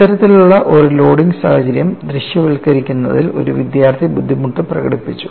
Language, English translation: Malayalam, You know one of the students expressed a difficulty in visualizing this kind of a loading situation